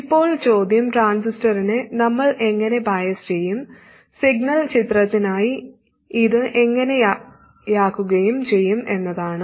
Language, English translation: Malayalam, Now the question is how do we bias the transistor like this and make it look like this for the signal picture